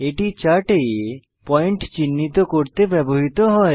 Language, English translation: Bengali, Markers are used to mark points on the chart